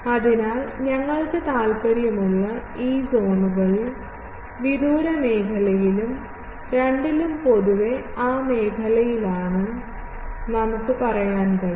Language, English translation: Malayalam, So, in this zones where we are interested, in the far zone and also in the both side direction, we can say that generally, is also here in that zone